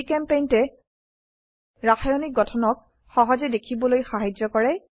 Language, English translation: Assamese, GChemPaint is a two dimensional chemical structure editor